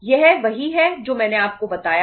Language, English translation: Hindi, This is just what I told u